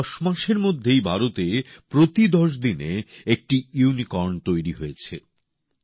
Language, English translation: Bengali, In just 10 months, a unicorn is being raised in India every 10 days